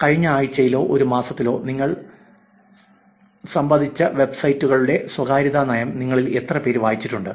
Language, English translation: Malayalam, How many of you have ever read any privacy policy of the websites that you have interacted with in the last week or a month, must you really low